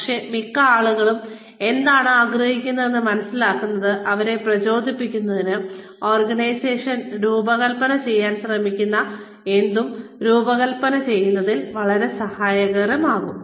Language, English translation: Malayalam, But, getting a sense of, what most people want, will be very helpful, in designing anything, that the organization is trying to design, in order to keep them motivated